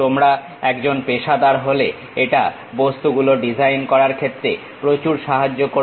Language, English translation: Bengali, If you are a professional this gives you enormous help in terms of designing the objects